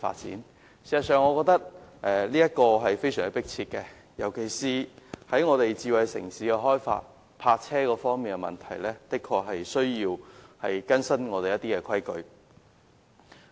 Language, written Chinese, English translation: Cantonese, 事實上，我認為這是非常迫切的，尤其是香港計劃發展智慧城市，在停泊車輛方面確實需要更新現行的規例。, In fact I think this is a most pressing task especially as Hong Kong plans to develop into a smart city and it is indeed necessary to update the existing regulations on the parking of vehicles